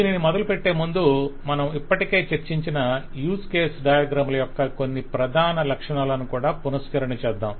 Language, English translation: Telugu, But before I get into that, let me also recapitulate some of the major features of the use case diagrams that we have already discussed